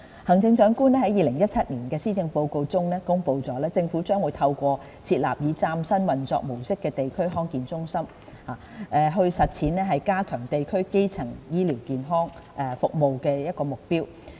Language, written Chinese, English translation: Cantonese, 行政長官在2017年施政報告中公布，政府將透過設立以嶄新運作模式的地區康健中心，實踐加強地區基層醫療健康服務的目標。, The Chief Executive announced in the 2017 Policy Address that the Government would achieve the objective of strengthening district - level primary healthcare services by setting up District Health Centres DHCs with a brand new operation mode